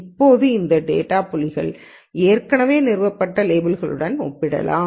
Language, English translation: Tamil, Now that can be compared with the already established labels for those data points